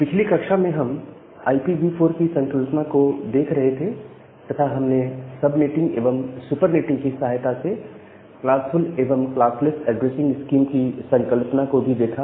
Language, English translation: Hindi, So, in the last class, we are looking into this concept of IPv4 addressing, and we have looked into the concept of classful and the classless addressing scheme with the help of subnetting and the supernetting